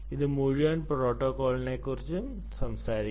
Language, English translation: Malayalam, it speaks volumes about this whole protocol